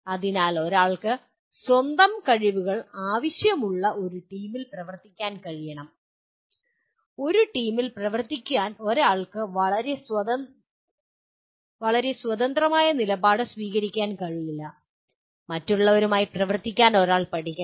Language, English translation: Malayalam, So one should be able to work in a team which requires its own skills, to work in a team one cannot take a very hard independent stand and that one should learn to work with others